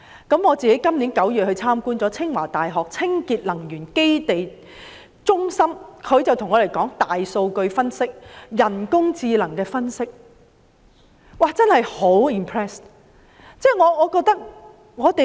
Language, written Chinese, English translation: Cantonese, 今年9月，我到清華大學清潔能源中心參觀，他們向我們介紹大數據分析、人工智能分析等，真的令人印象深刻。, In September this year I visited a centre on clean energy in Tsinghua University . They introduced to me the big data analytics and the artificial intelligence analytics which are really impressive